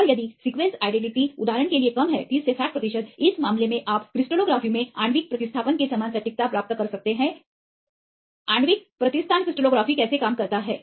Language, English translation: Hindi, And if the sequence identities is less for example, 30 to 60 percent; in this case you can get the accuracy similar to molecular replacement in crystallography how the molecular replacement crystallography works